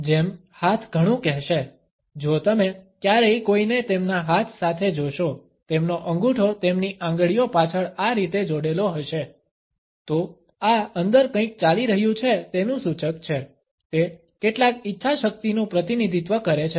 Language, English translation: Gujarati, As hands will tell so much, if you ever see someone with their hand, with their thumb tucked in behind their fingers like this, this is a indicator of something going on inside, the some represents a willpower